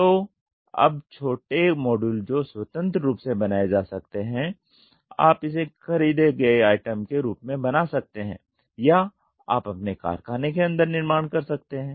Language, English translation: Hindi, So, now, into smaller modules that can be independently created you can make it as a bought out item or you can do manufacturing inside your factory